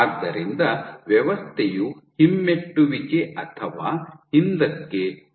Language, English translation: Kannada, So, the system retrograde flow, retrograde or backward